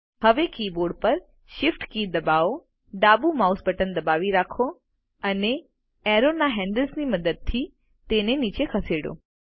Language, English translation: Gujarati, Now, press the Shift key on the keyboard, hold the left mouse button and using the arrows handle, drag it down